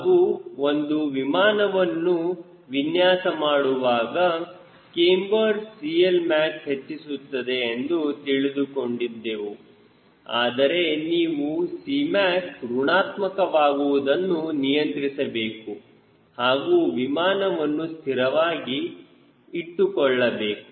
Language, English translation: Kannada, when you are trying to design an aircraft, yes, cambered will increase c l max, but you have to handle the c m h c negative as well to balance that airplane